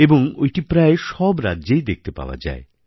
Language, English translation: Bengali, It used to be played in almost every state